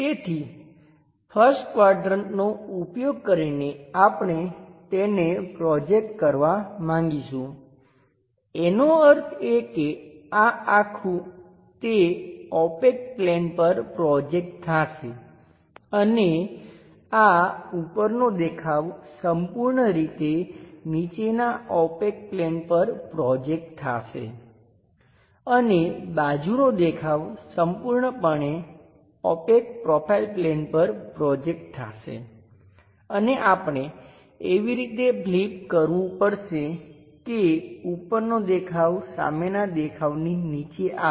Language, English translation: Gujarati, So, using first quadrant thus also we would like to project it; that means, this entire thing projected onto that opaque plane and this top view entirely projected onto bottom opaque plane and side view entirely projected onto profile plane opaque one and we have to flip in such a way that front view top view comes at bottom level